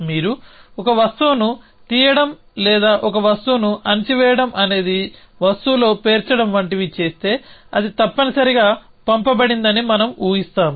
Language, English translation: Telugu, So, if you a taking up a object or putting down a object was stacking in object and stacking in object we just assume that it happens in sent essentially